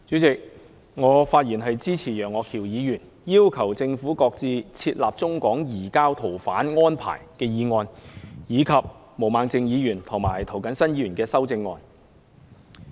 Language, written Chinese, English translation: Cantonese, 主席，我發言支持楊岳橋議員的"要求政府擱置設立中港移交逃犯安排"議案，以及毛孟靜議員和涂謹申議員的修正案。, President I speak in support of Mr Alvin YEUNGs motion on Requesting the Government to shelve the formulation of arrangements for the surrender of fugitive offenders between Mainland China and Hong Kong and the amendments proposed by Ms Claudia MO and Mr James TO